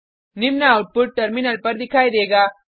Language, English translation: Hindi, The following output is displayed on the terminal